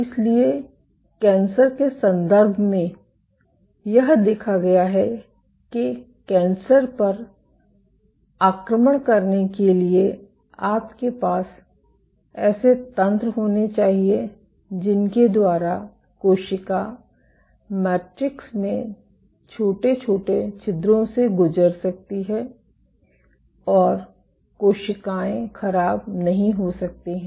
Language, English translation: Hindi, So, in the context of cancers, what has been observed is that for cancers to invade you must have mechanisms by which the cell can pass through small pores in the matrix and cells cannot deform